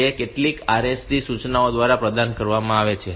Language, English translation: Gujarati, It is provided by means of some RST instructions